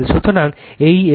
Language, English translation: Bengali, So, this is your R L